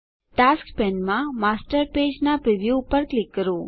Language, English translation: Gujarati, In the Tasks pane, click on the preview of the Master Page